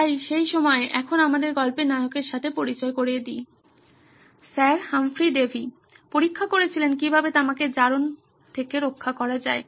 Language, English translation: Bengali, So at that time now introduce our hero the story, Sir Humphry Davy was experimenting how to protect copper from corrosion